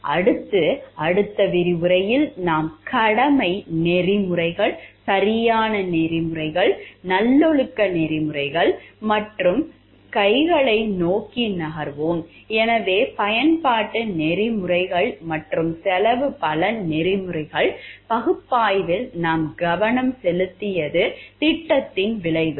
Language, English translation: Tamil, Next, in the next lecture we will move towards the duty ethics, right ethics, virtue ethics and hands forth, so in utilitarianism ethics and cost benefit ethics analysis what we have focused is on the outcome of the project